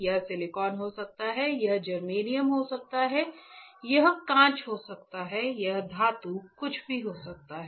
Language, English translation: Hindi, It can be silicon, it can be germanium, it can be glass, it can be metal anything